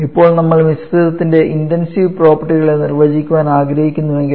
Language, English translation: Malayalam, If now we want to define the intensive properties for the mixture